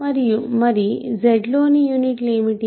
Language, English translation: Telugu, What are units in Z